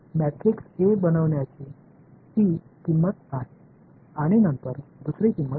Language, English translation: Marathi, So, that is the cost of making the matrix a then there is the second is the cost of